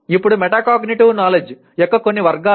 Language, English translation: Telugu, Now some of the categories of metacognitive knowledge